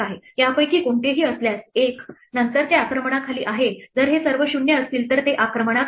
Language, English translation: Marathi, If any of these is 1, then it is under attack if all of these are 0 then is not under attack right